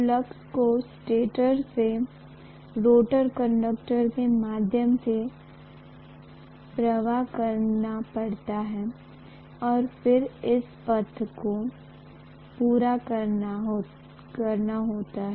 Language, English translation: Hindi, From the stator, the flux has to flow through the rotor conductors and then it should complete the path